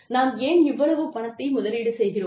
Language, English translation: Tamil, So, why do we invest in human capital